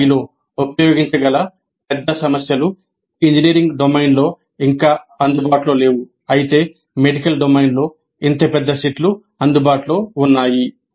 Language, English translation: Telugu, Large sets of problems which can be used in PBI are not yet available in engineering domain while such large sets are available in the medical domain